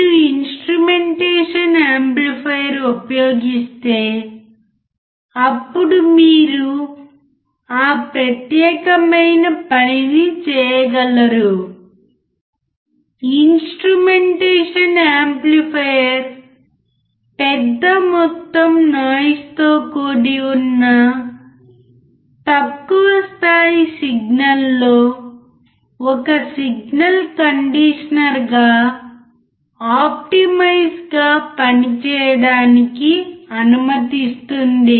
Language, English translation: Telugu, If you use instrumentation amplifier, then you can do that particular thing, this allows instrumentation amplifier to optimize its role as signal conditioner of low level signals in large amount of noise, alright